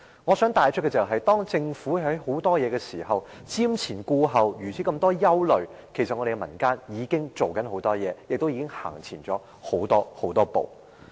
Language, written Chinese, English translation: Cantonese, 我想帶出的是，當政府還在瞻前顧後，多多顧慮時，民間已做了很多事，亦已走前了很多步。, My point is that despite the overcautious attitude and considerable worries of the Government the community has done a lot and taken a few steps forward